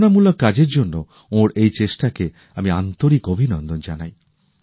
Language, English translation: Bengali, I heartily congratulate his efforts, for his inspirational work